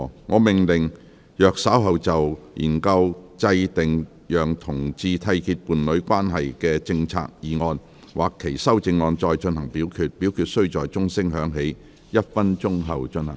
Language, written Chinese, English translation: Cantonese, 我命令若稍後就"研究制訂讓同志締結伴侶關係的政策"所提出的議案或修正案再進行點名表決，表決須在鐘聲響起1分鐘後進行。, I order that in the event of further divisions being claimed in respect of the motion on Studying the formulation of policies for homosexual couples to enter into a union or any amendments thereto this Council do proceed to each of such divisions immediately after the division bell has been rung for one minute